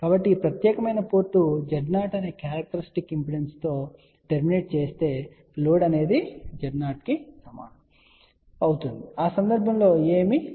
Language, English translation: Telugu, So, if this particular port is terminated with a characteristic impedance of Z 0 that means, load is equal to Z 0 in that case nothing will reflect